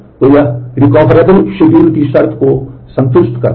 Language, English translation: Hindi, So, that satisfies the condition of recoverable schedule